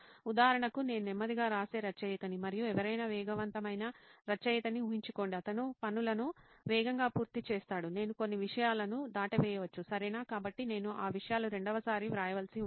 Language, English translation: Telugu, For example imagine I am a slow writer and someone is a fast writer, he completes the things fast, I might skip out some topics, right, so I might need to write those things second